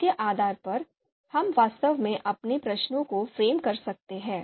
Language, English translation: Hindi, So so based on that, we can you know we can actually frame our you know questions